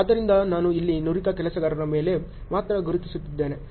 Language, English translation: Kannada, So, I have just marked only on the skilled workers here